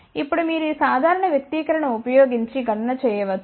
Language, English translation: Telugu, Now of course, you can do the calculation by using this simple expression